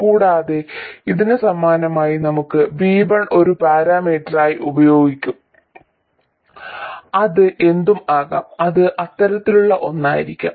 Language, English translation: Malayalam, And similarly for this one we will have V1 as a parameter and it could be anything, it could be something like that